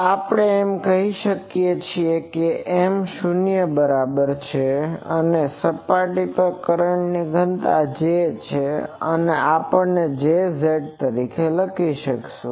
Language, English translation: Gujarati, So, we can say that M is equal to 0 here, and our current density J that we will write as J z